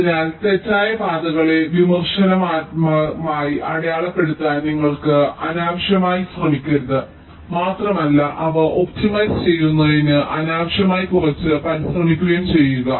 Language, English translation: Malayalam, so you do not unnecessarily try to mark the wrong paths as critical and just unnecessarily put some effort in optimizing them right